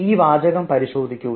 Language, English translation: Malayalam, now look at this sentence